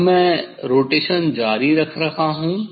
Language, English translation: Hindi, Now, I am continuing the rotation